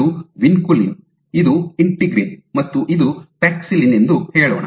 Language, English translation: Kannada, Let us say let us say this is vinculin, this is integrin and this is paxillin